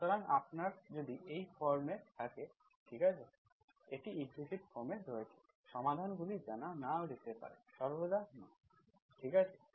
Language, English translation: Bengali, So if you have in this form, okay, this is in implicit form, implicit form you may not know in solutions, not always okay